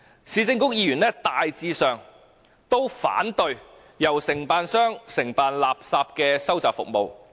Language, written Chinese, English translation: Cantonese, 市政局議員大致上都反對由承辦商承辦垃圾收集服務"。, Members of the [Urban Council] were generally opposed to the collection of refuse by contractors